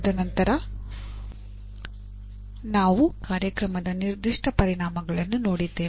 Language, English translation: Kannada, And then we have Program Specific Outcomes